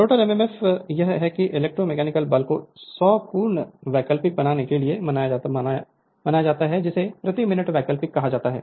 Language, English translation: Hindi, The rotor e m f your is are that your electromotive force is observed to make 100 complete your alternate your alternation what you call alternation per minute right